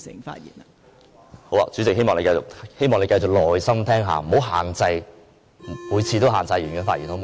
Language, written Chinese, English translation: Cantonese, 代理主席，希望你繼續耐心聆聽，不要每次也限制議員的發言，好嗎？, Deputy President I hope you can continue to listen to me patiently and refrain from limiting Members speeches every time cant you?